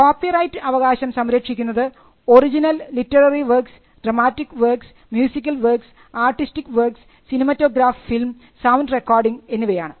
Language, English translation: Malayalam, Works protected by copyright include original literary works, dramatic works, musical works and artistic works, it includes cinematograph films, it includes sound recordings